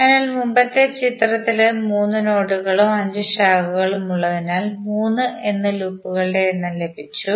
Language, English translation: Malayalam, So, in the previous of figure the nodes for number of 3 and branches of 5, so we got number of loops equal to 3